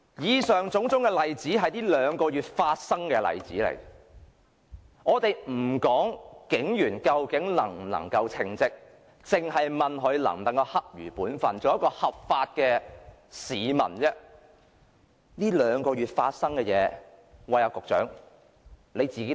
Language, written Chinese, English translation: Cantonese, 以上種種例子是在近兩個月發生的，我們先不說警員究竟能否稱職，只是問他們能否恰如本分，做一個守法的市民，說起近兩個月發生的事情，局長你也會汗顏。, These examples happened in the past two months . Let us not talk about for the time being whether the police officers are competent instead we simply question if they can duly fulfil their duties as law - abiding citizens . The Secretary will be embarrassed listening to the incidents that happened in the past two months